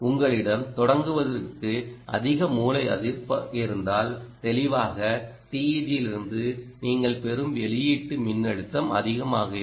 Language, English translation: Tamil, if you have higher source resistance to begin with, the output voltage that you will get from the teg will be high